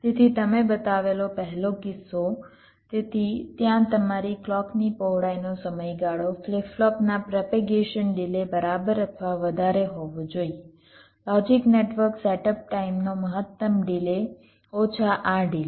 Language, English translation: Gujarati, so there your clock width time period must be greater than equal to the propagation delay of the flip flop, the maximum delay of the logic network setup time, minus this delay